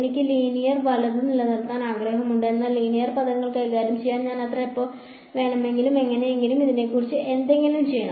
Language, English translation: Malayalam, I want to keep linear right, but dealing with linear terms now I have to do somehow do something about this f prime